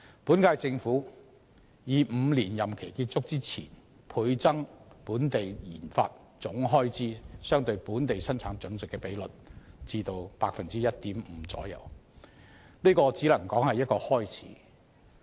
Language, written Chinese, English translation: Cantonese, 本屆政府以5年任期結束前倍增本地研發總開支相對本地生產總值的比率至 1.5% 為目標，只能說是一個開始。, The goal of the current - term Government of doubling the Gross Domestic Expenditure on RD as a share of GDP to 1.5 % by the end of its five - year term of office may only be regarded as the beginning